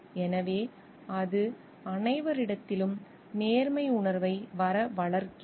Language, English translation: Tamil, So, it develops a sense of fairness amongst all